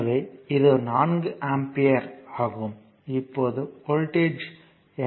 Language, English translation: Tamil, So, this is your 4 ampere, now what is the voltage